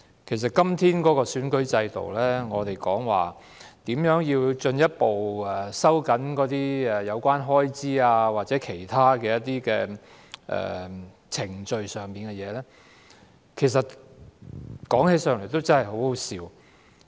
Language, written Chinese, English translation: Cantonese, 對於今天的選舉制度，我們還在討論如何進一步收緊有關選舉開支的規定或其他程序事宜，說起來其實真的很可笑。, Seeing the electoral system today I actually consider it really ridiculous for us to still discuss how to further tighten the regulations on election expenses or other procedural matters